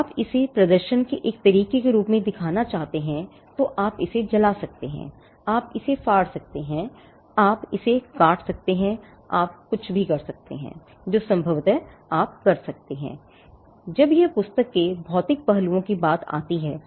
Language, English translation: Hindi, If you want to show it as a way of demonstration you can burn it, you can tear it apart, you can shred it, you could do anything that is possibly you can do when it comes to the physical aspects of the book